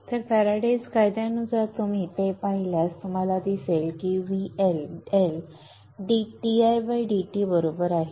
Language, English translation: Marathi, So by the Faraday's law if you look at that you will see that the L is equal to L, D